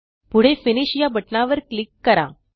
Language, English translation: Marathi, Next click on the Finish button